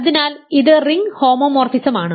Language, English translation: Malayalam, So, this a ring homomorphism